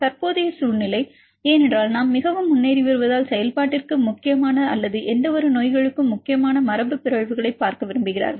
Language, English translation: Tamil, The current scenario because we are going very far ahead, they want to see in particular mutants which are important for function or important for any diseases right